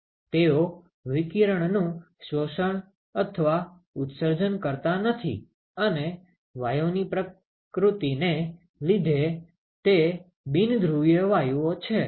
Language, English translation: Gujarati, They do not absorb or emit radiation, and that is because of the nature of the gas it is a non polar gases